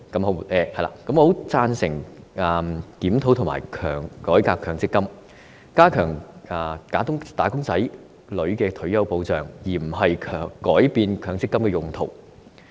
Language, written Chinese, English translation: Cantonese, 我很贊成檢討和改革強積金，加強"打工仔女"的退休保障，而非改變強積金的用途。, I agree very much that reforms and reviews should be conducted on MPF to strengthen the retirement protection for wage earners rather than to change the usage of MPF